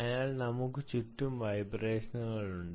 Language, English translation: Malayalam, on the other side, the are vibrations